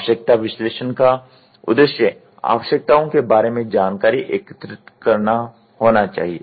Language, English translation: Hindi, The need analysis should be aimed at collecting information about the requirements